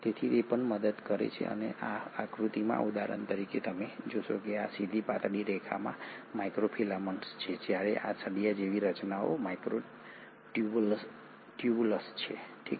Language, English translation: Gujarati, So it also helps so in this diagram for example you will find that these straight thin lines are the microfilaments while these rod like structures are the microtubules